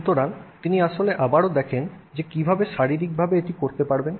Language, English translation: Bengali, So, he actually looks at again, you know, how you could do this physically